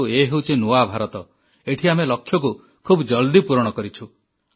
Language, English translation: Odia, But this is New India, where we accomplish goals in the quickest time possible